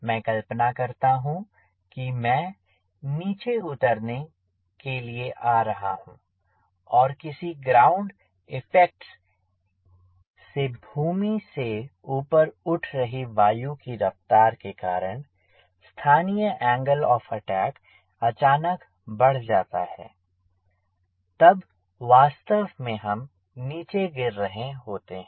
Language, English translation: Hindi, so imagine i am, i am coming for landing and because of some ground effect or ground upward wind, the local angle of attack suddenly increases